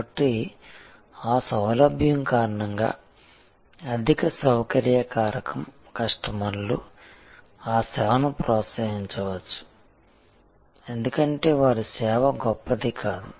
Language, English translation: Telugu, So, because of that convenience, high convenience factor customers may patronize that service not because their service is great